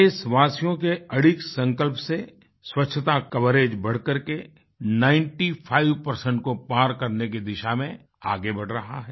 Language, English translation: Hindi, On account of the unwavering resolve of our countrymen, swachchata, sanitation coverage is rapidly advancing towards crossing the 95% mark